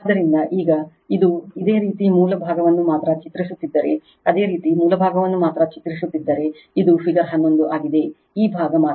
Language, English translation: Kannada, So, now this one you just if you draw only the source side, this is figure 11 if you draw only the source side, this side only right